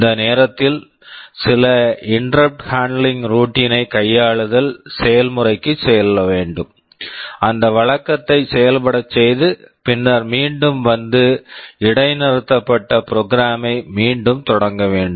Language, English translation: Tamil, If it comes, the program that is executing will be suspended, we will have to go to some interrupt handling routine, run that routine and then again come back and resume the interrupted program